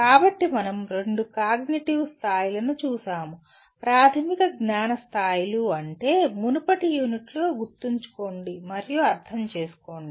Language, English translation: Telugu, So we looked at the two cognitive levels, elementary cognitive levels namely Remember and Understand in the earlier unit